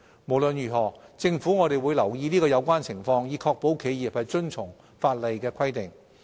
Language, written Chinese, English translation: Cantonese, 無論如何，政府會留意有關情況，以確保企業遵從法例的規定。, Nevertheless the Government will keep the situation under review to ensure that enterprises comply with the requirements of the law